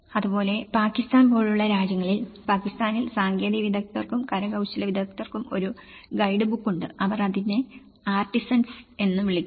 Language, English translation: Malayalam, Similarly, there are efforts in Pakistan in countries like Pakistan, there have been a guidebook for technicians and artisans, they call it as artisans